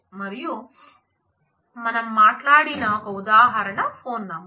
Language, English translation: Telugu, And the example we talked about is a phone number